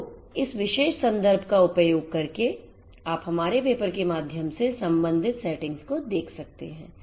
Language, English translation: Hindi, So, using this particular reference you can go through our paper the corresponding settings that are there